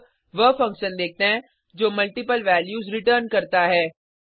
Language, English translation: Hindi, Now, let us see a function which returns multiple values